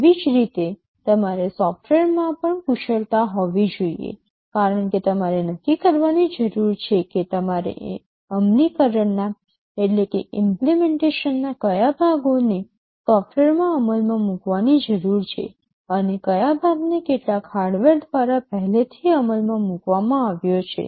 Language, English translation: Gujarati, Similarly, you also need to have expertise in software, because you need to decide which parts of the implementation you need to implement in software, and which part is already implemented by some hardware